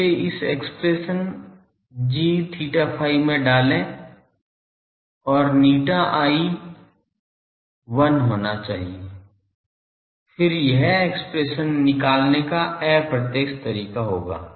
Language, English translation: Hindi, Put that in this expression g theta phi values and eta i should turn out to be 1, then that will be indirect way of saying this expression